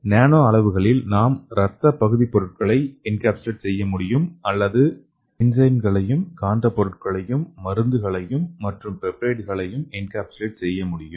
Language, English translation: Tamil, And in the nano dimensions using the nano dimensions we can make blood substitutes or we can encapsulate enzymes and magnetic materials and drugs and other peptides okay